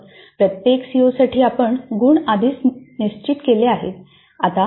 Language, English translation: Marathi, Then for each COO we already have determined the marks